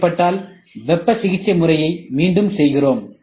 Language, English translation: Tamil, Then we do again, if needed heat treatment